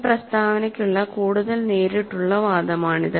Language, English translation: Malayalam, This is a more direct argument for this statement